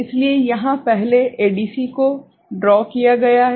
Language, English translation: Hindi, So, here first ADC is drawn right